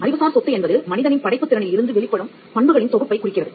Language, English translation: Tamil, Intellectual property refers to that set of properties that emanates from human creative labour